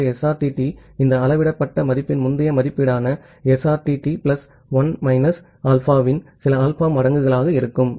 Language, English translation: Tamil, So, SRTT would be some alpha times the previous estimation of SRTT plus 1 minus alpha of this measured value R